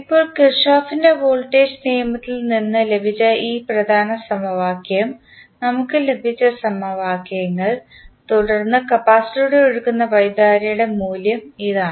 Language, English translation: Malayalam, Now, the equations which we have got this main equation which we got from the Kirchhoff’s voltage law and then this is the value of current which is flowing through the capacitor